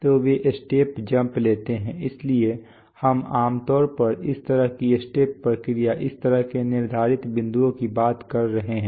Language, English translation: Hindi, So they take step jumps, again are held, so we are typically talking of this kind of step response, this kind of set points